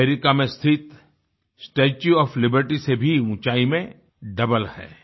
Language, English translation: Hindi, It is double in height compared to the 'Statue of Liberty' located in the US